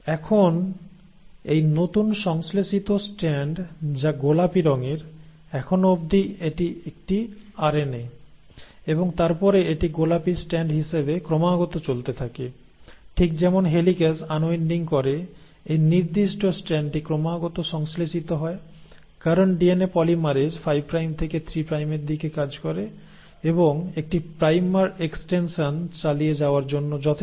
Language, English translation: Bengali, Now this newly synthesised strand which is pink in colour, this one, right, till here it is a RNA and then it continues as a pink strand; it keeps on continuously moving, so as the helicase keeps on unwinding this particular strand is continuously getting synthesised because DNA polymerase works in the 5 prime to 3 prime direction, and one primer is enough to keep the extension going